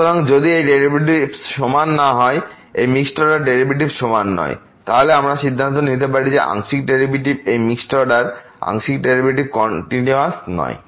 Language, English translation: Bengali, So, if these derivatives are not equal this mixed order derivatives are not equal, then we can conclude that the partial derivatives these mixed order partial derivatives are not continuous